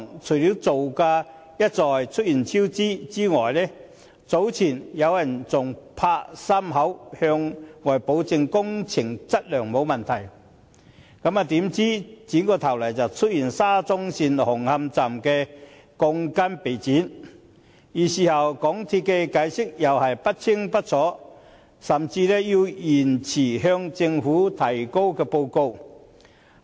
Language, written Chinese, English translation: Cantonese, 除了造價一再出現超支外，早前有人還"拍心口"向外保證工程質量沒有問題，怎料轉過頭來，便揭發沙中線紅磡站鋼筋被剪短，而事後港鐵公司的解釋又是不清不楚，甚至要延遲向政府提交報告。, Apart from cost overruns the solemn avowal made earlier that there was no problem with project quality was soon contradicted by the revelation that the steel bars at Hung Hom Station of SCL had been cut short . Later MTRCL offered ambiguous explanations and even delayed the submission of its report to the Government